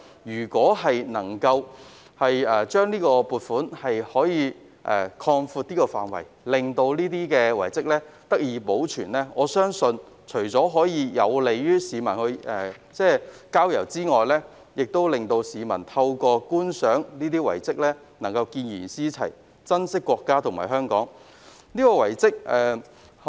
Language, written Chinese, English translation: Cantonese, 若可擴闊有關撥款的範圍，令這些遺蹟得以保存，我相信除可便利市民郊遊外，市民在觀賞這些遺蹟後亦會見賢思齊，珍惜國家和香港。, If the scope of the funding can be extended to the conservation of such relics I believe this will not only facilitate peoples exploration of the countryside but will also enable them to emulate the good role models and cherish our country and Hong Kong after visiting such relics